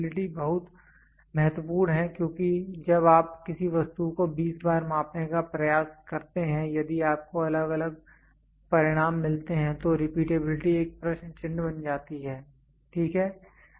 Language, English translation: Hindi, Repeatability is very important because when you try to measure an object repeatedly 20 times if you get varying results then the repeatability becomes a question mark, ok